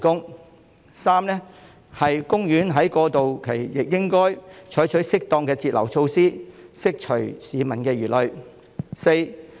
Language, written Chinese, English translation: Cantonese, 第三，海洋公園在過渡期亦應採取適當的截流措施，釋除市民的疑慮。, Third the Ocean Park should take appropriate cut - off measures during the transition period in order to allay public concern